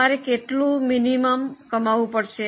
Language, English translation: Gujarati, How much you have to earn minimum